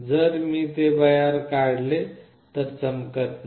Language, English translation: Marathi, If I take it out, it is not glowing